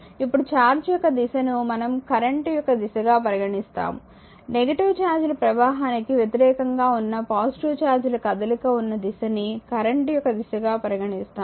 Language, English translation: Telugu, Now, which direction of the charge we will consider the direction of the current, convention is to take the current flow as the movement of the positive charges that is opposite to the flow of negative charge is as shown in next figure 1